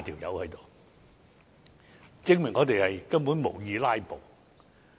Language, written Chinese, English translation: Cantonese, 由此可見，我們根本無意"拉布"。, It can be seen from this that we have no intention whatsoever to stage a filibuster